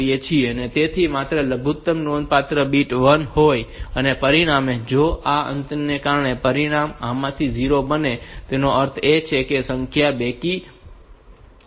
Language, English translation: Gujarati, So, only the least significant bit is 1 and as a result if there if the result becomes 0 of this due to this ending the result becomes 0; that means, the number is an or even number